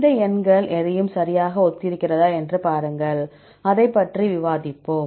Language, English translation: Tamil, And then see whether these numbers resembles anything right, we will discuss about that